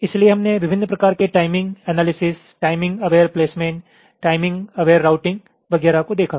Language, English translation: Hindi, so we looked at the various kinds of timing analysis: timing aware placement, timing aware routing and so on